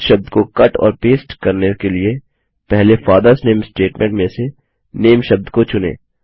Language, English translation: Hindi, In order to cut and paste this word, first select the word, NAME in the statement, FATHERS NAME